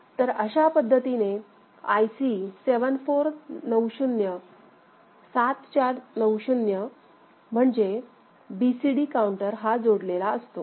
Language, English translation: Marathi, So, the IC 7490, this particular BCD counter has been connected in this manner ok